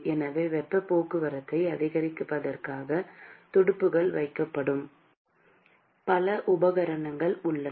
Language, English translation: Tamil, So, there are several equipments where fins are being placed in order to increase the heat transport